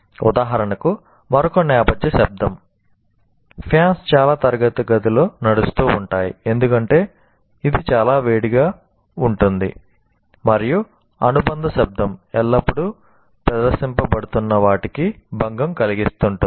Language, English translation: Telugu, For example, another background noise in many classrooms, you have fans going on because it's quite hot and then you have that noise constantly disturbing what is being present